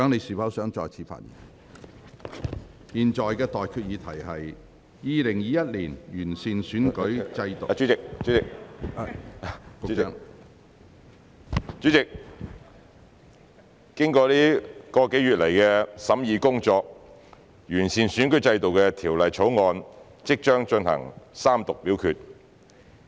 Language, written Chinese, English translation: Cantonese, 主席，經過一個多月來的審議工作，完善選舉制度的《2021年完善選舉制度條例草案》，即將進行三讀表決。, President after slightly over a month of deliberation Members will soon proceed to vote on the Third Reading of the Improving Electoral System Bill 2021 the Bill one which seeks to enhance our electoral system